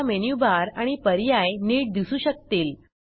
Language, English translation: Marathi, * Now, we can view the Menu bar and the options clearly